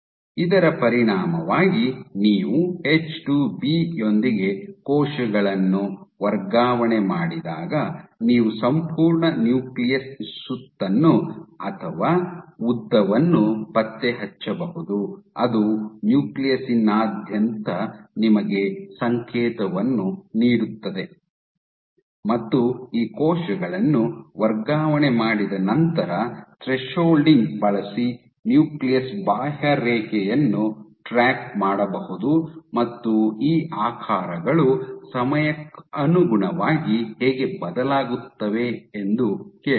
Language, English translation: Kannada, So, as a result, so when you transfect cells with H2B you can detect the entire nucleus round or elongated it will give you signal throughout the nucleus, and then once they transfected these cells they can actually track the outline of the nucleus using thresholding, and they asked that how do these shapes change as a function of time ok